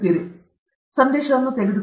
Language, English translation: Kannada, Take home message